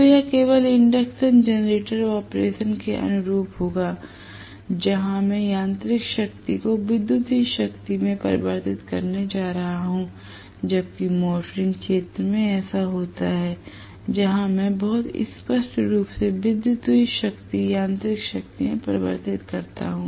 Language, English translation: Hindi, So this will correspond only to induction generator operation where I am going to convert mechanical power into electrical power whereas this happens in motoring region, where I am going to have very clearly electrical power is converted into mechanical power